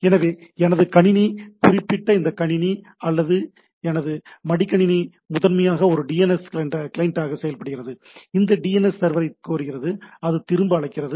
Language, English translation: Tamil, So I my system say by particular this system or my laptop acts as a primarily a it has a DNS client, which requests to the DNS server which is revert back